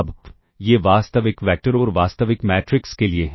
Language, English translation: Hindi, Now, these are for real vectors and real matrices, now, for complex vectors and matrices